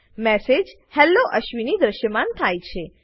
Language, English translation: Gujarati, The message Hello ashwini is displayed